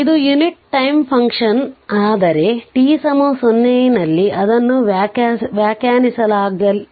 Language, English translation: Kannada, So, this is your unit time function, but remember at t is equal to 0 it is undefined right